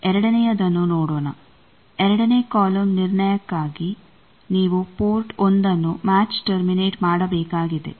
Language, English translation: Kannada, Let us see the second for second column determination you need to match terminate port 1 port 1 match terminated